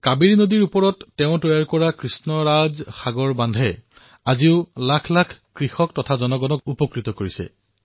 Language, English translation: Assamese, Lakhs of farmers and common people continue to benefit from the Krishna Raj Sagar Dam built by him